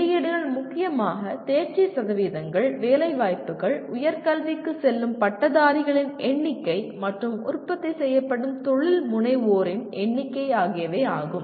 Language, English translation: Tamil, Outputs are mainly pass percentages, placements, number of graduates going for higher education and the number of entrepreneurs produced